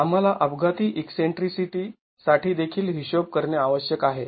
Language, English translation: Marathi, We also need to account for accidental eccentricity